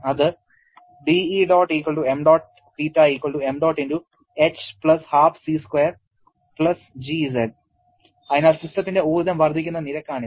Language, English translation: Malayalam, So, this is the rate at which energy of the system will increase